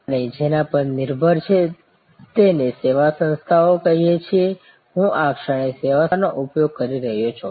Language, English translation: Gujarati, Dependent on what we call the service organization, I am at this moment using service organization